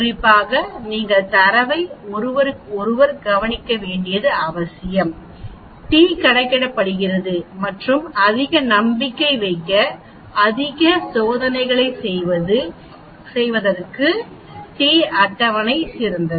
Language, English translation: Tamil, Especially you need to watch out with the data is very close to each other that is t calculated and t table is better to do more experiments to have more confidence in your conclusion